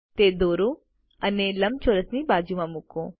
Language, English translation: Gujarati, Let us draw it and place it next to the rectangle